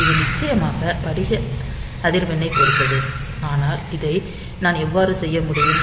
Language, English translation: Tamil, So, it depends on the crystal frequency of course, but how can I do this